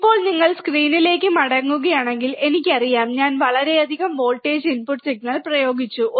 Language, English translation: Malayalam, Now, if you come back to the screens, I have, I know I much applied I have applied voltage input signal